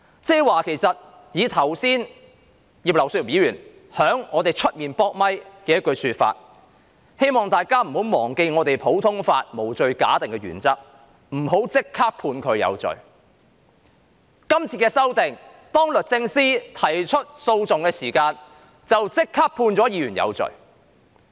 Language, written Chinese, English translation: Cantonese, 然而，剛才葉劉淑儀議員在會議廳外會見記者時卻說"希望大家不要忘記普通法的無罪推定原則，不要立即將有關人士視為有罪"。, However when Mrs Regina IP spoke to the reporters outside the Chamber just now she reminded that the common law principle of presumption of innocence should not be forgotten and no one should be regarded as guilty right away